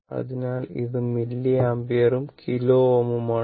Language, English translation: Malayalam, This is milliampere and all are kilo ohm